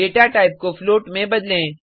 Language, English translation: Hindi, change the data type to float